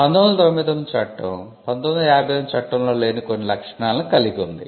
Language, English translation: Telugu, The 1999 act has certain features which were not there in the 1958 act